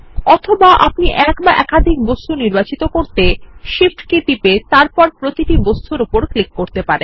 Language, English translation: Bengali, Alternately, you can select two or more objects by pressing the Shift key and then clicking on each object